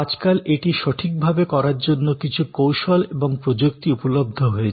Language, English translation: Bengali, Now, to do it correctly, there are some techniques and some technologies